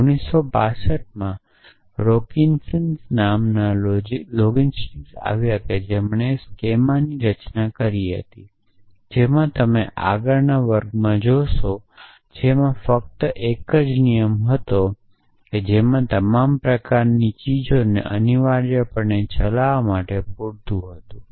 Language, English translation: Gujarati, In 1965 along came a logistician by the name of Robinson who devises the Skema, which you will look at in the next class in which only one rule was of inference was enough for driving all kind of things essentially